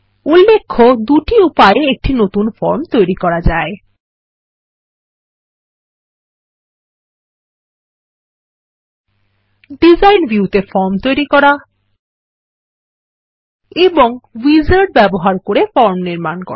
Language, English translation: Bengali, Notice that there are two ways to create a new form: Create Form in Design View and Use Wizard to create form